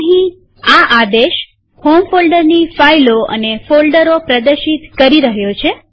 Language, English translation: Gujarati, So here it is displaying files and folders from home folder